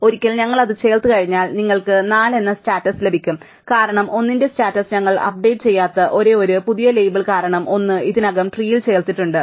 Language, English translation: Malayalam, Once we add it, you will obtain the status of 4 because that is the only new label we do not update the status of 1 because 1 is already been added to the tree